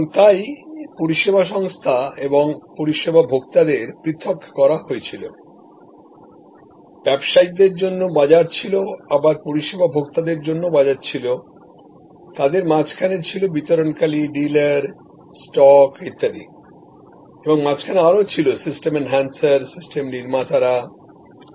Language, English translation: Bengali, And so service organization and service consumers were separated and the business was what we call market to the businesses, marketed to the consumer in between where distributors, dealers, stock and so on, in between there where system enhancers, system builders and so on